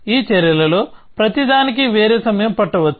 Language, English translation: Telugu, Each of these actions may take a different amount of time